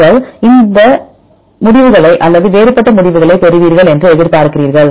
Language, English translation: Tamil, So, what do you expect you get similar results or different results